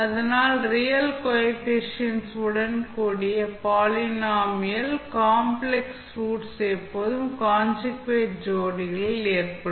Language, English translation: Tamil, So, the complex roots of the polynomial with real coefficients will always occur in conjugate pairs